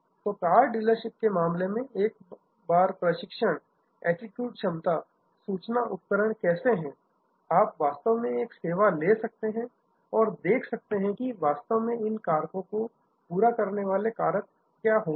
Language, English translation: Hindi, So, in this case in the car dealership, the how once are training attitude capacity information equipment, you can actually take up another service and see, what will be the how factors by which you will actually meet these what factors